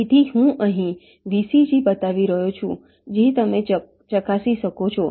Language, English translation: Gujarati, so i am showing the v, c, g here you can verify